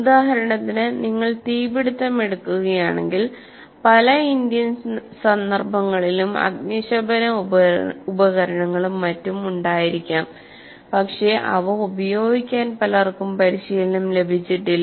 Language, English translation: Malayalam, For example, if you take the fire, in many of the Indian contexts, while we may have fire extinguishers and so on, and I don't think many of the people do get trained with respect to that